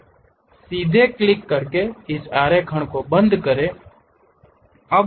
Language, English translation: Hindi, Now, close this drawing by straight away clicking